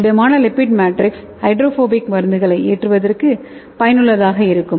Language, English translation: Tamil, And this solid lipid matrix is useful for loading your hydrophobic drugs okay